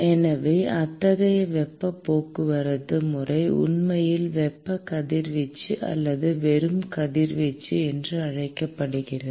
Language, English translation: Tamil, So, such kind of mode of heat transport is actually called as thermal radiation or simply radiation